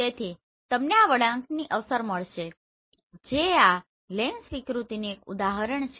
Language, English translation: Gujarati, So you will find this curve effect that is one example of this lens distortion